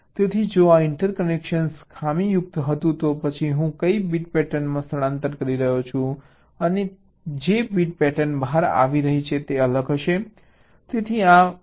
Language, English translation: Gujarati, so if this interconnection was faulty, then what bit pattern i am in shifting in and the bit pattern that is coming out will be different